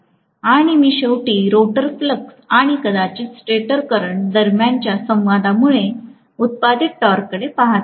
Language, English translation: Marathi, And I am ultimately going to look at the torque produced because of the interaction between the rotor flux and maybe the stator current